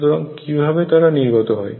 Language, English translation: Bengali, So, how do they come through